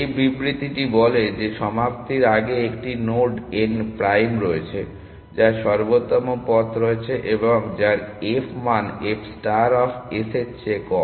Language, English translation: Bengali, That statement says that at all point before termination there exist a node n prime, which is on the optimal path, and whose f value is less than f star of s